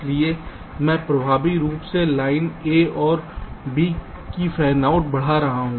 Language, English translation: Hindi, so i am effectively increasing the fanout of the line a and also b